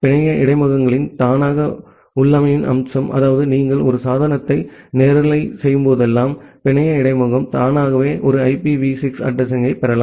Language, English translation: Tamil, Then the feature of auto configuration of network interfaces; that means, whenever you make a device live the network interface can automatically get an IPv6 address